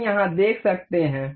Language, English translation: Hindi, We can see here